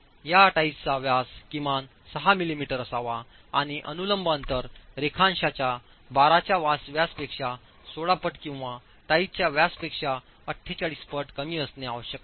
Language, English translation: Marathi, These ties should have a diameter of at least 6mm and with the vertical spacing being the lesser of either 16 times the diameter of the longitudinal bars or 48 times the diameter of the ties itself